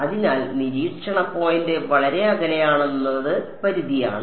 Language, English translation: Malayalam, So, it is the limit that the observation point is very far away